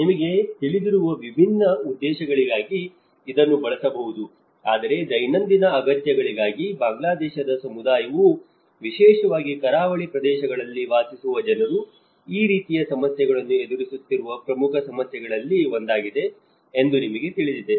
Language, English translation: Kannada, It can be used for different purposes you know but for a daily needs, you know this is one of the important problem which the Bangladeshi community especially the people who are living in the coastal areas they have come across with this kind of problems